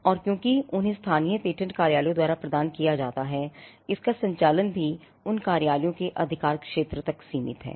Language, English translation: Hindi, So, patents are granted by the local patent offices and because they are granted by the local patent offices, the territory of it their operation are also limited to the jurisdiction of those offices